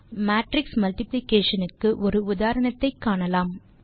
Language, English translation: Tamil, Now let us see an example for matrix multiplication